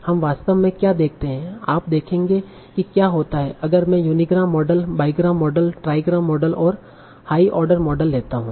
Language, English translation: Hindi, So you will see what happens if I take unigram, bigram model, trigram model, and higher order models